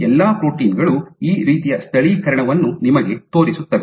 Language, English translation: Kannada, All these proteins will show you this kind of localization